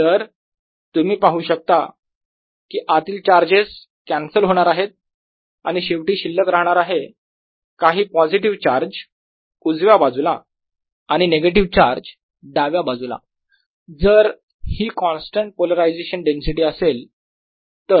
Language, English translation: Marathi, i am finally going to be left with some positive charge on the right and negative charge on the left if this is a constant polarization density